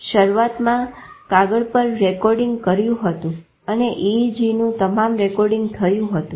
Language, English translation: Gujarati, Initially, paper recording was done and all recording of EEG like this